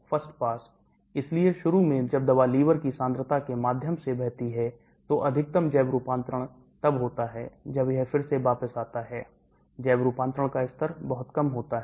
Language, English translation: Hindi, first pass, So initially when the drug flows through the liver concentration is high, maximum biotransformation takes place when it comes back again the biotransformation levels are much lower